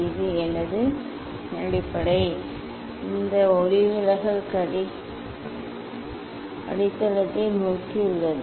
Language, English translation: Tamil, this is my base this refracted ray it is towards the base